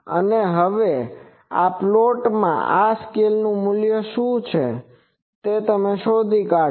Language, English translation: Gujarati, And now, from this plot, you find out what is this value in this scale